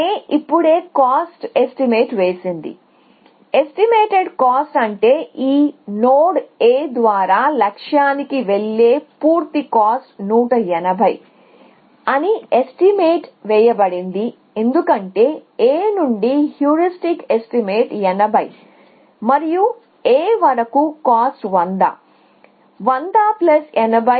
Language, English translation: Telugu, A has estimated cost now, estimated cost we mean the complete cost of going to the goal via this node A is estimated to be 180 because, the heuristic estimate from A is 80 and the